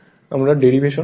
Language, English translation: Bengali, We have see the derivation also